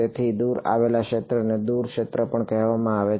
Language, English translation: Gujarati, So, this field far away is also called far field right